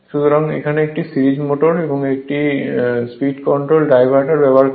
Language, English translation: Bengali, So, this speed control of a series motor, motor using diverter